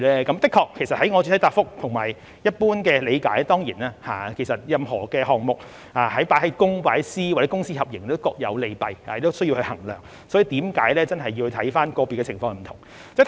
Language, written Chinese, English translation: Cantonese, 的確，正如我在主體答覆所說及根據一般理解，任何項目放在公營模式、放在私營模式或由公私合營進行也各有利弊，需要作出衡量，所以是真的要看個別不同的情況。, Indeed as I said in the main reply and according to the general understanding running a project by the public model or private model or public - private partnership model has its pros and cons and it is necessary to make assessments . Therefore we really must look at the individual circumstances